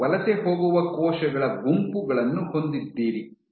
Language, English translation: Kannada, You have groups of cells which migrate